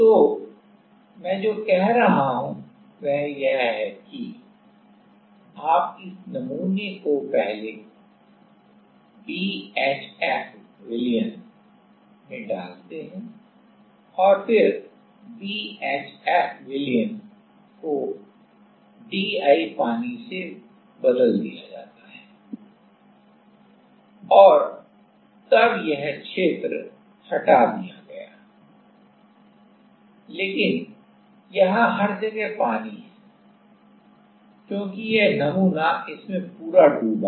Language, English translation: Hindi, So, what I am saying is so, you put this sample in to a in a BHF solution first and then they replaced the BHF solution with a DI water and then this region get removed, but there is water everywhere, because this total sample is dipped into it ok